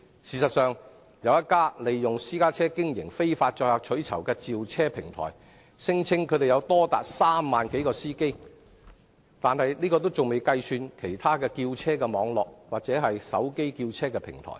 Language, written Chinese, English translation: Cantonese, 事實上，有一家利用私家車經營非法載客取酬的召車平台，聲稱擁有3萬多名司機，這數目仍未計算其他召車網絡或手機召車平台。, In fact one car hailing platform which illegally uses private cars to carry passengers for reward has claimed to have more than 30 000 drivers . This number has not even included those drivers on other car hailing networks or mobile applications